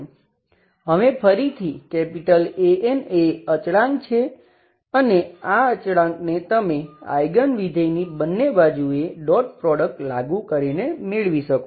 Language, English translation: Gujarati, Now again so this is a constant this constant you can get it by applying dot products both sides with the eigenfunction